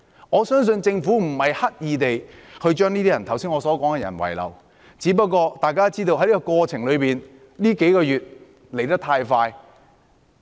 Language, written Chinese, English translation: Cantonese, 我相信政府不是刻意將我剛才所說的那些人遺漏，只是大家都知道，這數個月發生的事情來得太快。, I trust the Government would not deliberately neglect the needs of the group of people I mentioned just now yet we all know that things come too quickly in the past few months